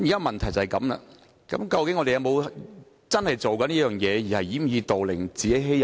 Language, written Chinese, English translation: Cantonese, 問題是，我們是否已經在做這件事情，而只是掩耳盜鈴，自欺欺人呢？, At issue is whether or not we are already adopting such practices in actuality . Are we just playing ostrich man or deceiving ourselves?